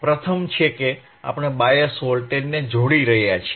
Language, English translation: Gujarati, The first is, we are connecting the bias voltage